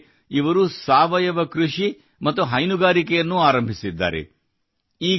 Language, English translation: Kannada, The special thing is that they have also started Organic Farming and Dairy